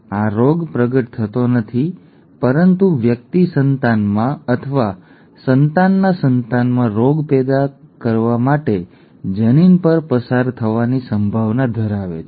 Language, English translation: Gujarati, The disease is not manifest but the person has a potential to pass on the allele to cause the disease in the offspring, or in the offspringÕs offspring